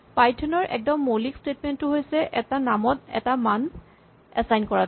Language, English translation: Assamese, The most basic statement in python is to assign a value to a name